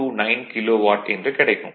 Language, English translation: Tamil, 829 kilo watt right